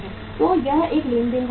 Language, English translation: Hindi, So it is a transaction motive